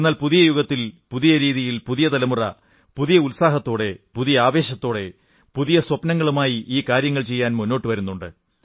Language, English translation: Malayalam, But, in this new era, the new generation is coming forward in a new way with a fresh vigour and spirit to fulfill their new dream